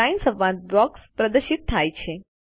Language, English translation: Gujarati, The Line dialog box is displayed